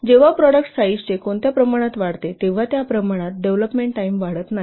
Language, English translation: Marathi, That when the product size increases in what, in which proportion the development time does not increase in that way